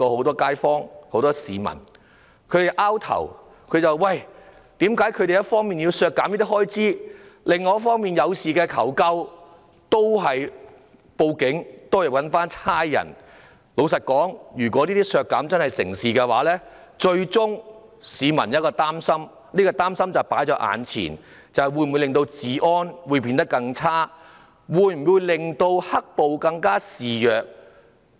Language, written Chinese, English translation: Cantonese, 老實說，如果這些修正案獲得通過，真箇削減有關的預算開支，市民只有擔心，治安會否變得更差？"黑暴"會否更加肆虐？, To be honest if such amendments are passed meaning the estimated expenditure is truly reduced people cannot help but worry if law and order will deteriorate and the black violence will become more rampant